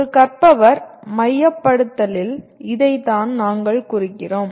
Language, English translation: Tamil, That is what we mean by a learner centricity